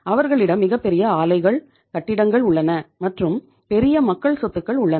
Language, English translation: Tamil, They have huge plants, buildings, and huge public say assets